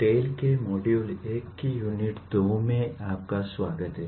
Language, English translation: Hindi, Welcome to the unit 2 of module 1 of TALE